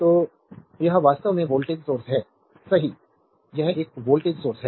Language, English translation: Hindi, So, this is actually voltage source, right this is one resistor this voltage source